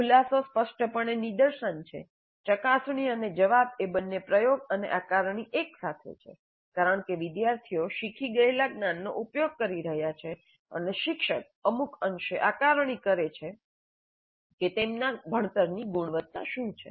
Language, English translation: Gujarati, Probe and respond is both application and assessment together because the students are applying the knowledge learned and the teacher is to some extent assessing what is the quality of the learning